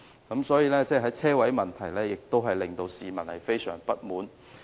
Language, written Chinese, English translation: Cantonese, 因此，在車位問題上，領展也令市民相當不滿。, Hence Link REIT has aroused a lot of grievances among the public in respect of car parking facilities